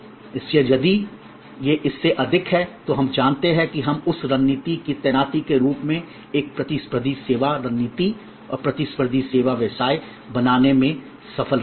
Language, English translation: Hindi, So, if this is higher than this, then we know that we have succeeded in creating a competitive service strategy and competitive service business as a deployment of that strategy